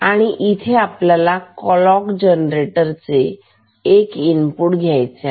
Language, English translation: Marathi, And, this and gate gets one input from the clock generator ok